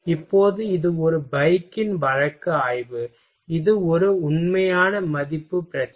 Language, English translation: Tamil, Now this is a case study of a bike, this is a one real value problem